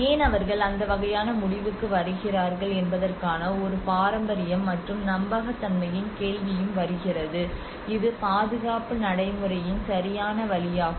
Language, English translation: Tamil, why not a tradition of how they come to that kind of conclusion and the question of authenticity also comes into the picture and is it the right way of conservation practice